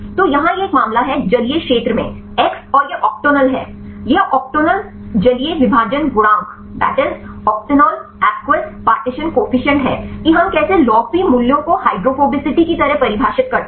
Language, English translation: Hindi, So, here is this a case X in aqueous region and this is octanol; this is the octanol aqueous partition coefficient this how we define the log P values like the kind of hydrophobicity